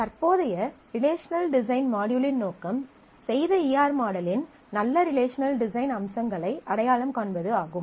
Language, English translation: Tamil, So, the objective of the current module, the first of the Relational Design Module is to identify features of good relational design having done the ER model